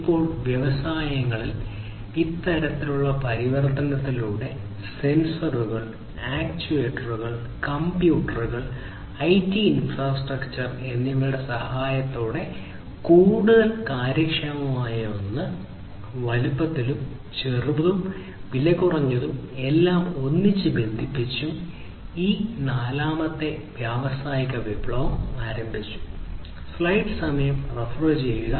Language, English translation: Malayalam, So, it is this phase we started about 7 years back that we are going through now in the industries through this kind of transformation, with the help of sensors, actuators, computers, IT infrastructure, much more efficient one, smaller in size, cheaper, and so on and everything connected together this is this fourth industrial revolution that we are going through